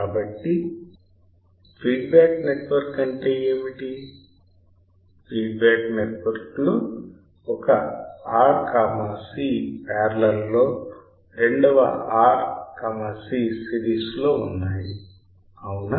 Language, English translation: Telugu, So, what was the feedback network one R and C in parallel second R and C in series right